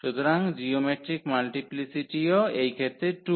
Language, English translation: Bengali, So, the geometric multiplicity is also 2 in this case